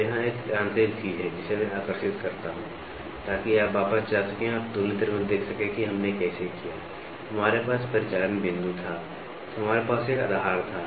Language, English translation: Hindi, So, here is a mechanical thing which I draw, so you can go back and see in comparator how did we do, we had operating point then we had a fulcrum